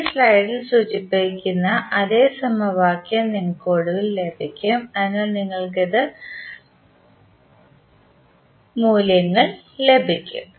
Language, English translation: Malayalam, You will eventually get the same equation which is mentioned in this slide, so you will get these values